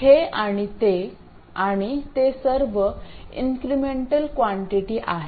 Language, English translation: Marathi, This and that and that, all are incremental quantities